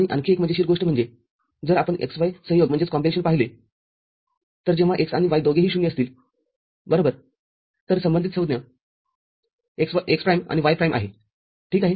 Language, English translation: Marathi, And another interesting thing is if you look at the x, y combination, so when x and y both at 0 right, so the corresponding term is x prime AND y prime ok